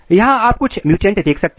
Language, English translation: Hindi, Here are some some mutants for this